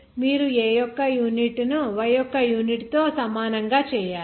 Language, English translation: Telugu, You have to make the unit of A same as that K